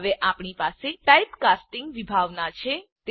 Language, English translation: Gujarati, We now have the concept of typecasting